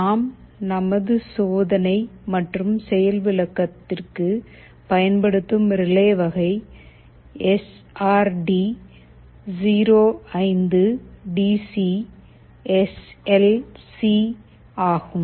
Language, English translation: Tamil, The type of relay that we shall be using in our demonstration is SRD 05DC SL C